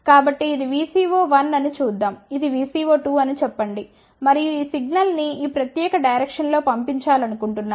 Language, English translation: Telugu, So, let us just see that this is a VCO 1, let us say this is VCO 2 and we want to send this signal in this particular direction